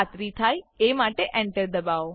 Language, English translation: Gujarati, Press Enter to confirm